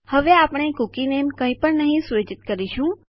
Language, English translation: Gujarati, Now we will set the cookie name to nothing